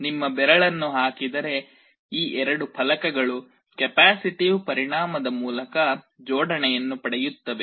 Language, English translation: Kannada, If you put your finger, these two plates will get a coupling via a capacitive effect